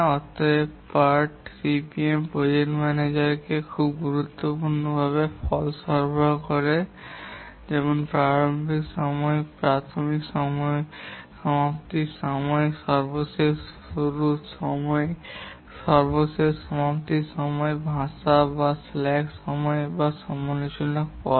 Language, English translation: Bengali, Therefore the PARTCPM provides very important results to the project manager which are the earliest starting time, earliest completion time, latest start time, latest completion time, the float or the slack time and the critical path